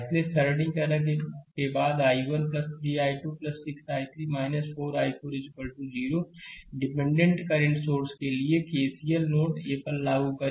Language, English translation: Hindi, So, after simplification i 1 plus 3 i 2 plus 6 i 3 minus 4 i 4 is equal to 0 for the independent current source we apply KCL to node a